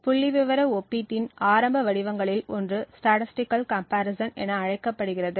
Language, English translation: Tamil, One of the earliest forms of statistical comparison is known as the Difference of Means